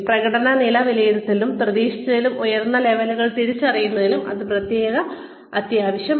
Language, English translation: Malayalam, It is absolutely essential, to assess the performance level, and recognize levels that are higher than expected